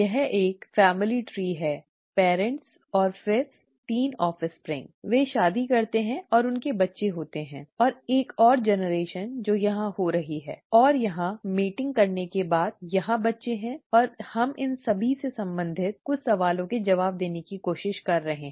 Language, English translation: Hindi, This is a a family tree parents and then the 3 offspring here, they marry and they have children and there is one more generation that is occurring here and after mating here, there are children here and we are trying to answer some questions related to these